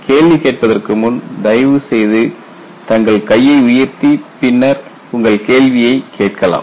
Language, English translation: Tamil, Before you ask the questions, please raise your hand, and then ask your question